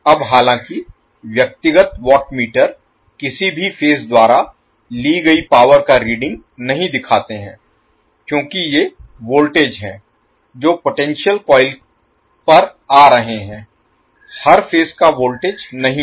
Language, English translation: Hindi, Now, although the individual watt meters no longer read power taken by any particular phase because these are the voltage which is coming across the potential coil is not the per phase voltage